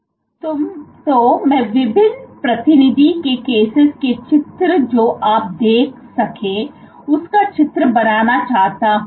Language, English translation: Hindi, So, let me draw, let me draw various representative cases of what you might see